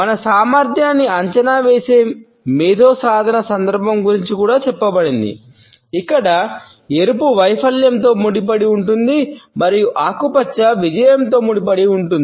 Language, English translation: Telugu, It is said also about the intellectual achievement context in which our competence is evaluated, where red is associated with failure and green is associated with success